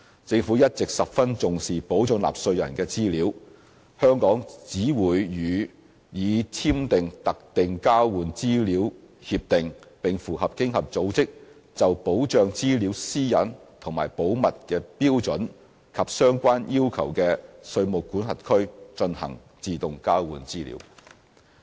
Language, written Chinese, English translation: Cantonese, 政府一直十分重視保障納稅人的資料，而香港只會與已簽訂特定交換資料協定，並符合經合組織就保障資料私隱和保密的標準及相關要求的稅務管轄區，進行自動交換資料。, The Government always sets great store by the protection of taxpayers information . Hong Kong will only conduct AEOI with jurisdictions which have signed dedicated exchange agreements with it and have fulfilled OECDs standard and the relevant safeguards for protecting data privacy and confidentiality